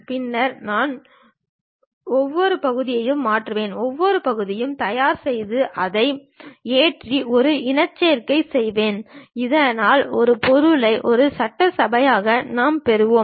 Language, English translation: Tamil, Then, I load each individual part, I will prepare each individual part, load it and make a mating, so that a single object as assembly we will get it